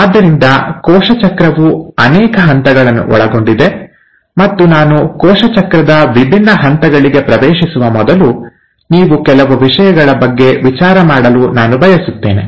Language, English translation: Kannada, So cell cycle consists of multiple steps and before I get into the different steps of cell cycle, I just want you to ponder over a few things